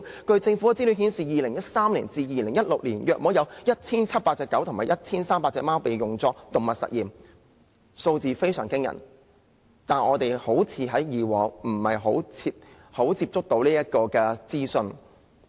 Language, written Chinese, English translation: Cantonese, 據政府的資料顯示 ，2013 年至2016年約有 1,700 隻狗和 1,300 隻貓被用作動物實驗，數字非常驚人，但我們以往好像很少接觸到這個資訊。, According to the Governments information about 1 700 dogs and 1 300 cats were used in experiments on animals from 2013 to 2016 much to our horror . We were seldom privy to this type of information in the past